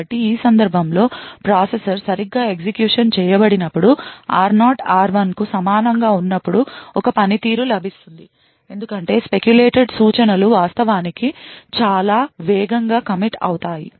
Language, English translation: Telugu, So, when the processor as executed correctly in this case when r0 is equal to r1 then a performance is gained because the speculated instructions could actually be committed at a much more faster rate